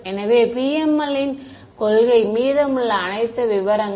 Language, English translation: Tamil, So, this is the principle of PML the rest are all details